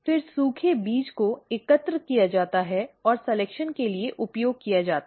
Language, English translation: Hindi, The dried seed is then collected and used for selection